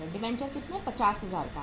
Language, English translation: Hindi, Debentures are for how much 50,000